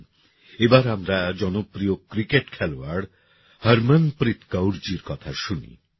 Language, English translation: Bengali, Come, now let us listen to the famous cricket player Harmanpreet Kaur ji